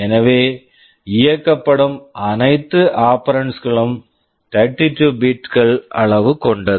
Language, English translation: Tamil, So, all operands that are being operated on are 32 bits in size